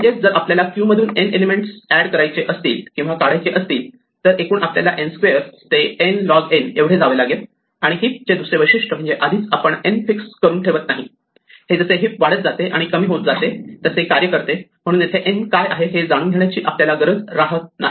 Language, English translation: Marathi, This means that if we have to add and remove n elements from the queue, overall we will go from n squared to n log n and another nice feature about a heap is that we do not have to fix n in advance this will work as the heap grows and shrinks so we do not need to know what n is